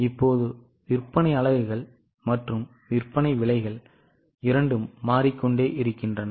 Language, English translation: Tamil, Now both sale units and sale prices are changing